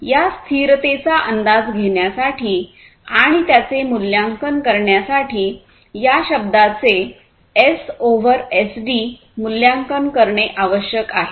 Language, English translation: Marathi, So, in order to estimate this sustainability and assess it, it is required to evaluate this term S over SD, ok